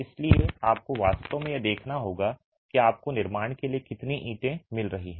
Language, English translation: Hindi, So, you actually have to make this check for the lot of bricks that you are getting for the construction